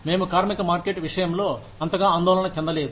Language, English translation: Telugu, We are not, so much concerned, with the labor market